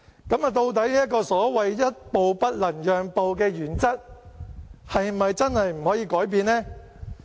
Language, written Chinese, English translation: Cantonese, 究竟這個所謂一步不能讓的原則，是否真的不可以改變呢？, Can this principle which they claimed that they will not budge an inch really not be changed?